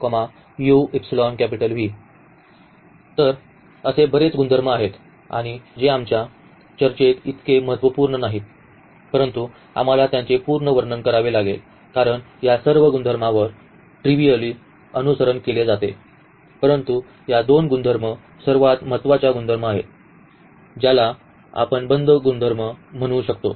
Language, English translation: Marathi, And, there are many more properties which are not so important in our discussion, but we need to just state them for completeness because most of our examples all these properties will trivially a follow, but these two properties are the most important properties which we call the closure properties